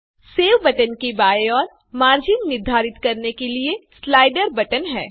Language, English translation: Hindi, Left to the save button is the slider button by which we can specify the margins